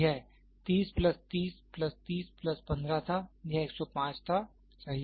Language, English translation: Hindi, This was 30 plus 30 plus 30 plus 15, it was 105, right